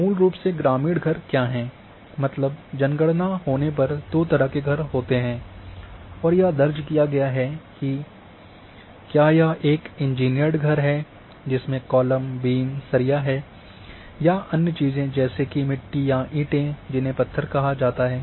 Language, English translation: Hindi, What basically are rural houses, means there are two types of houses when the census is done and this is recorded whether it is an engineered house which is having columns and beam and steel and other things or made from mud or bricks are called as stones